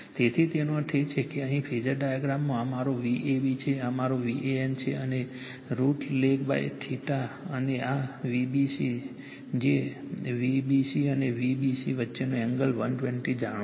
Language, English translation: Gujarati, So; that means, ; that means, here in the phasor diagram this is my V a b this is my V a n right and I L lags by theta and this is v b c V a b angle between V a b and V b c is 120 degree you know